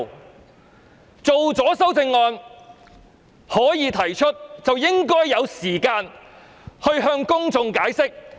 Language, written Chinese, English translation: Cantonese, 我們草擬的修正案獲准提出，便應該給予時間讓我向公眾解釋。, As the amendments we drafted have been ruled admissible I should be given time to explain them to the public